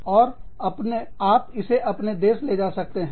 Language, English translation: Hindi, And, you have it, within your country